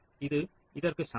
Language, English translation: Tamil, so this is equivalent to this